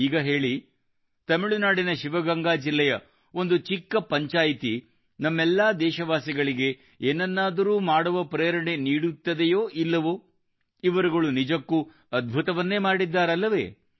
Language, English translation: Kannada, Now tell me, a small panchayat in Sivaganga district of Tamil Nadu inspires all of us countrymen to do something or not